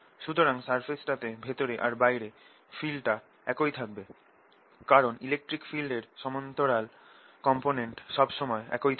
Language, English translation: Bengali, just inside also the field would be the same, because parallel component electric field is always the same